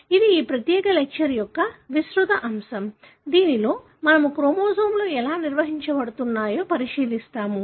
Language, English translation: Telugu, ThatÕs the broad topic of this particular lecture, wherein we will be looking into how the chromosomes are organized